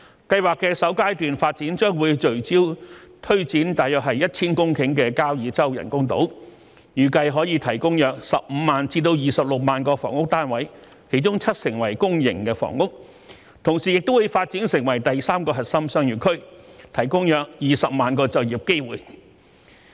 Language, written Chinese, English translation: Cantonese, 計劃的首階段發展將會聚焦推展約 1,000 公頃的交椅洲人工島，預計可提供約15萬至26萬個房屋單位，當中七成為公營房屋；同時亦會發展成第三個核心商業區，提供約20萬個就業機會。, The first phase of the project will focus on developing the Kau Yi Chau Artificial Islands with an area of about 1 000 hectares . It is estimated that 150 000 to 260 000 housing units will be provided 70 % of which will be public housing . At the same time the islands will be developed into the third Core Business District that can supply around 200 000 employment opportunities